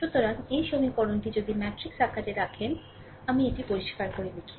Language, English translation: Bengali, So, this equation, if an if you put this equation in the matrix form, let me clean it